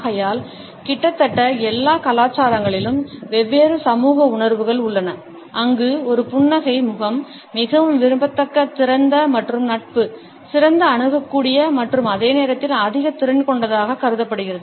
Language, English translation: Tamil, Therefore, we also have different social perceptions in almost all the cultures where a smiling face is considered to be more likeable open and friendly, better approachable and at the same time more competent